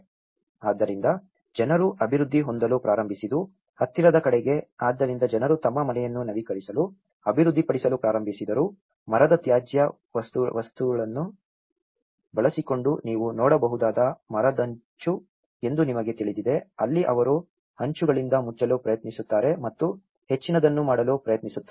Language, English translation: Kannada, So, what people started developing was thereby towards the near, so people started developing to upgrade their house, using the timber off cuts you know what you can see is the timber shingles, where shingles they try to cover with that and make more of a permanent look